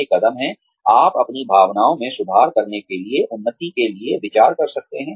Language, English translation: Hindi, These are the steps, you can take, to improve your chances, of being considered for advancement